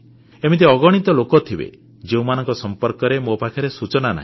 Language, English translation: Odia, And surely there must be countless people like them about whom I have no information